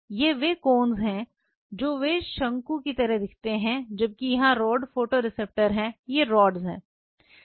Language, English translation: Hindi, These are the cones they look like cones whereas, here have the rod photoreceptors here these are the rods